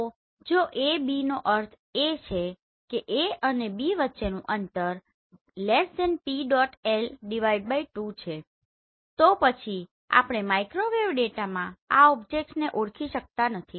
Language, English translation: Gujarati, So if A B that means the distance between A and B is<PL/2 then we cannot identify these objects in microwave data